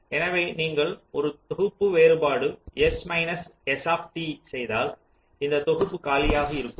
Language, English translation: Tamil, so if you do a set difference, s minus st, this set should be empty